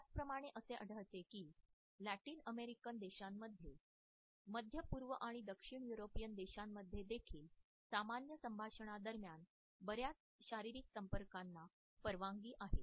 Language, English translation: Marathi, In the same way we find that in Middle East in Latin American countries and in Southern European countries also a lot more physical contact during normal conversations is perfectly permissible